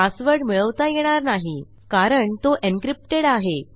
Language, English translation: Marathi, But now they wont be able to find what it is because thats encrypted